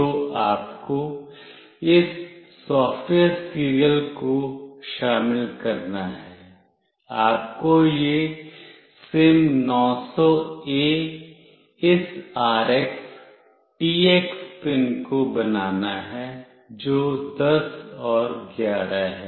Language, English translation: Hindi, So, you have to include this SoftwareSerial, you have to make this SIM900A this RX, TX pin which is 10 and 11